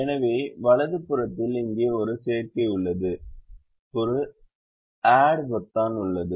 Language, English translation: Tamil, here on the right hand side there is an add button